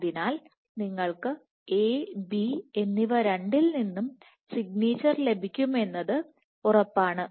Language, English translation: Malayalam, So, you are guaranteed that you will have signature coming from both A and B